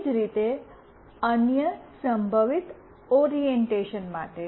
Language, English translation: Gujarati, Similarly, for the other possible orientations